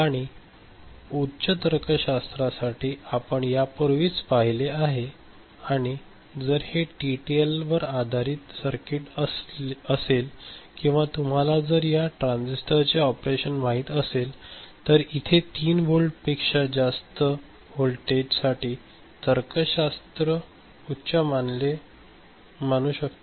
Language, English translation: Marathi, And logic high we have seen before, if it is a TTL based circuit or you know this transistor the operation so, we can consider this to be greater than 3 volt when it is logic high